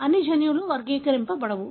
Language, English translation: Telugu, Not all genes are categorized